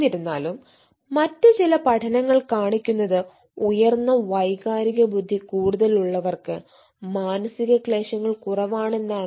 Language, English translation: Malayalam, however, some other studies also shows that high emotional intelligence related to decreased psychological distress